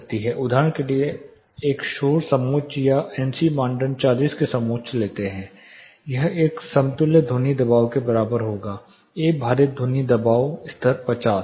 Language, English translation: Hindi, For example, you take a noise contour or NC criteria contour of 40 this would be more or less equal to an equivalence sound pressure A weighted sound pressure level of 50